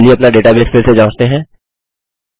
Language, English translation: Hindi, Now, lets check our database again